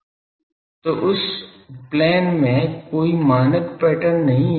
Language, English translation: Hindi, So, there is no standard pattern in that plane